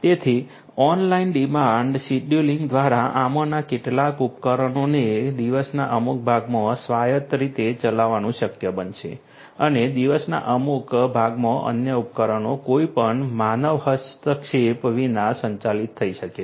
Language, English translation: Gujarati, So, through online demand scheduling it would be possible to have some of these devices operate autonomously in certain parts of the day and in certain other parts of the day other devices may be operated without any human intervention